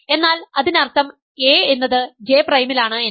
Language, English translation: Malayalam, So, this J is in A, J prime is in B